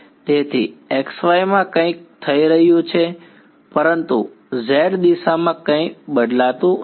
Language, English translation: Gujarati, So, something is happening in xy, but nothing changes in the z direction